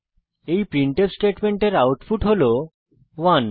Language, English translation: Bengali, This printf statements output is 0